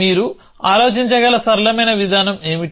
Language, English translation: Telugu, What is the simplest approach you can think